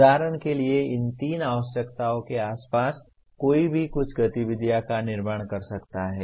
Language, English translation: Hindi, For example, around these three requirements one can build some activities